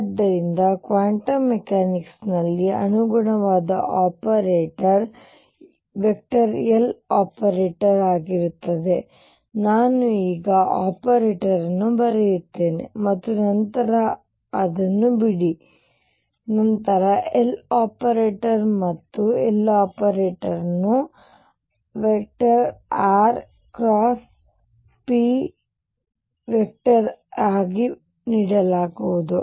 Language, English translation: Kannada, So, the corresponding operator in quantum mechanics will be L operator I will write operator now and then drop it later L operator and L operator would be given as r cross p operator